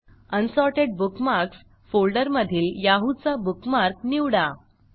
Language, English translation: Marathi, From the Unsorted Bookmarks folder select the Yahoo bookmark